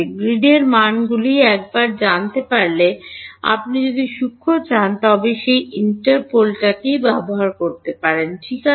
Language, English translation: Bengali, Once you know values on the grid, if you want finer then that interpolate ok